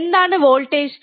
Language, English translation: Malayalam, What is the voltage